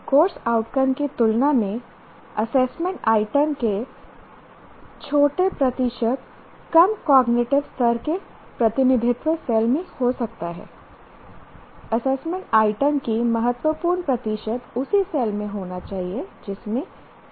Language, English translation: Hindi, While some, that is small percentage of assessment items can be in cells representing cognitive levels lower than that of course outcome, significant percentage of assessment items should be in the same cell as that of the CMO